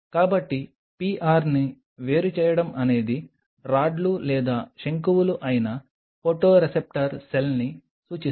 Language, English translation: Telugu, So, isolating the PR stands for the photoreceptor cell which is either rods or cones